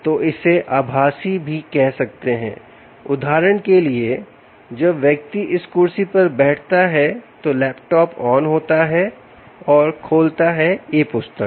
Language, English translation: Hindi, for instance, ah, when the person sits on this chair, the laptop switches on and opens the e book